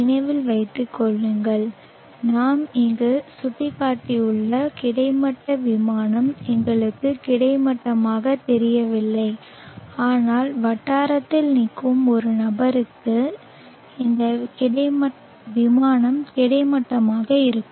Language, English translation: Tamil, Remember that the horizontal plane that we have indicated here does not appear horizontal to us but to a person standing at the locality this plane will be horizontal and which and it will also lie on the horizon plane